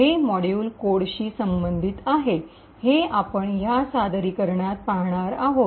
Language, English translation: Marathi, So this particular module corresponds to the code that we have seen in the presentation